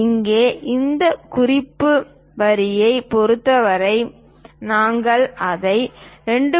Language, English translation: Tamil, Here, with respect to this reference line, we are showing it as 2